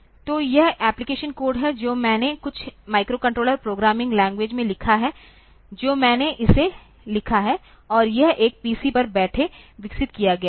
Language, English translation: Hindi, So, this is the application code that I have written in some microcontroller programming language I have written it, and this is developed sitting on a PC